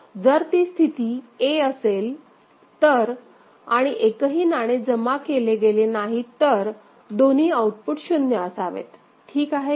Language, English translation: Marathi, If it is at state a and no coin has been deposited of course, output should be both the output should be 0; is it fine